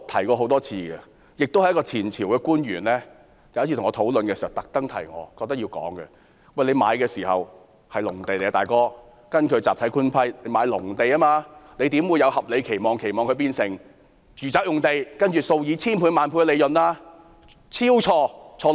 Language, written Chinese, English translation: Cantonese, 我曾多次提及，一名前朝官員有一次跟我討論時特別提醒我說：若發展商收購的土地是集體官契下的農地，他們怎能有合理期望，期望這些農地會變成住宅用地，然後從中取得數以千萬倍的利潤呢？, As I have mentioned time and again an official from the previous Administration once specifically reminded me during our discussion that since such land lots were agricultural lots purchased by developers under Block Government Leases they should not reasonably expect that such lots will be rezoned for residential purposes and make a gain of thousands and even tens of thousands of times